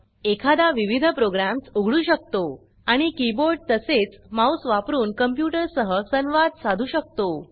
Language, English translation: Marathi, *One can open various programs and interact with the computer, using the keyboard and mouse